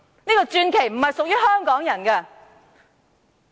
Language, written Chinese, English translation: Cantonese, 這個傳奇並非屬於香港人！, Such a legend does not belong to Hong Kong people!